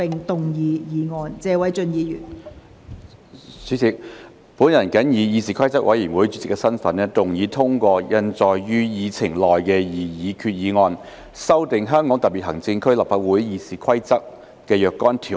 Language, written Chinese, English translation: Cantonese, 代理主席，本人謹以議事規則委員會主席的身份，動議通過印載於議程內的擬議決議案，修訂《香港特別行政區立法會議事規則》的若干條文。, Deputy President in my capacity as the Chairman of the Committee on Rules of Procedure I move that the proposed resolution as printed on the Agenda be passed to amend certain provisions of the Rules of Procedure of the Legislative Council of the Hong Kong Special Administrative Region RoP